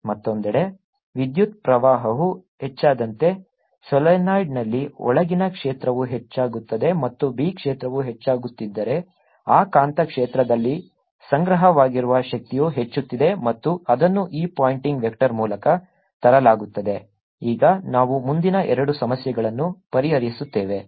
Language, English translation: Kannada, on the other hand, in the solenoid, as the current increases, so does the field inside, and if the b field is increasing, the energy stored in that magnetic field is also increasing, and that is brought in by this pointing vector